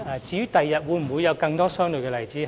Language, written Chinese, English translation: Cantonese, 至於日後會否有更多相類的例子？, Will there be more similar examples in future?